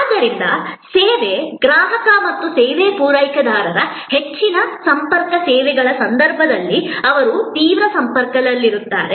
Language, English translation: Kannada, So, the service consumer and the service provider, they are in intense contact in case of high contact services